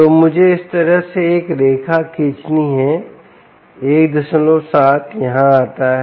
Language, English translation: Hindi, so let me draw a line like this: one point seven comes here